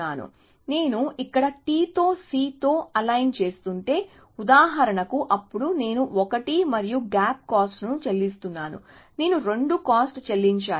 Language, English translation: Telugu, So, if I am aligning a T with a C for example here, then I am paying a cost of 1 and a gap, I have to pay a cost of 2